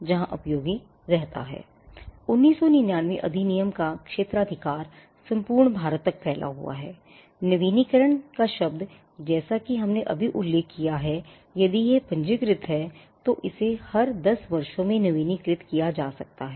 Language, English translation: Hindi, Now the jurisdiction of the 1999 act, it extends to the whole of India, the term of renewal as we just mentioned, if it is registered, it can be renewed every 10 years